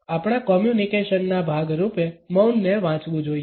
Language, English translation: Gujarati, In the way silence is to be read as a part of our communication